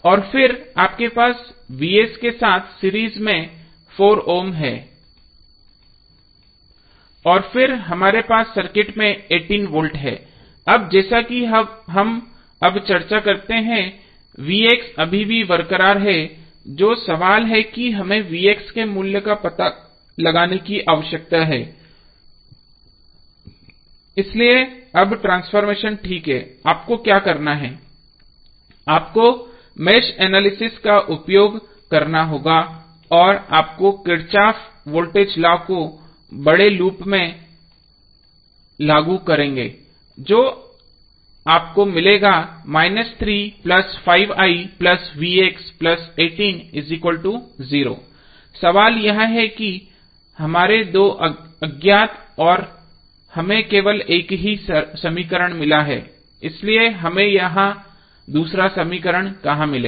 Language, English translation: Hindi, And then you have 4 ohm in series with Vx and then 18 volts which we have in the circuit, now as we discuss now Vx is still intact which is the question that we need to find out the value of Vx so we are okay with the transformations now, what you have to do, you have to use mesh analysis and you apply Kirchhoff’s voltage law across the bigger loop what you will get, you will get, minus 3 plus 4 ohm plus 1 ohm will be like the 5 ohm into current I